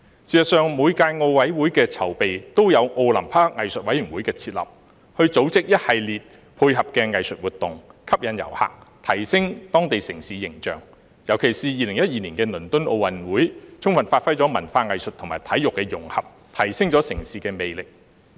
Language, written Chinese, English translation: Cantonese, 事實上，每屆奧林匹克委員會的籌備，都有奧林匹克藝術委員會的設立，以組織一系列配合的藝術活動，吸引遊客，並提升當地城市形象，尤其是2012年的倫敦奧運會，充分發揮了文化藝術和體育的融合，提升了城市的魅力。, In fact an Olympic Arts Committee has been set up in the run - up to each Olympic Committee to organize a series of complementary arts activities to attract tourists and enhance the image of the city especially in the case of the London 2012 Olympic Games where the integration of culture arts and sports was brought into full play to enhance the citys appeal